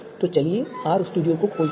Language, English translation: Hindi, So let us open R studio